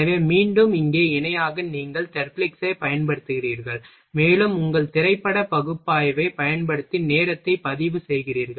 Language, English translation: Tamil, So, again here parallely you are using Therblig’s, and you are recording the time, using your film analysis